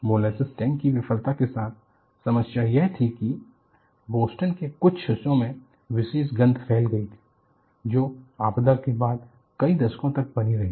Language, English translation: Hindi, The problem with molasses tank failure was this left a characteristic smell in parts of Boston, which remained for several decades after the disaster